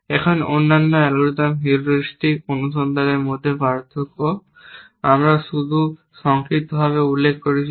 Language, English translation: Bengali, Now, the difference between the other algorithms heuristic search, we just briefly mentioned in the passing that we know